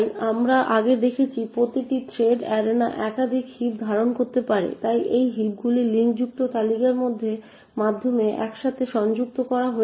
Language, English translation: Bengali, So as we have seen before each thread arena can contain multiple heaps, so these heaps are linked together by linked list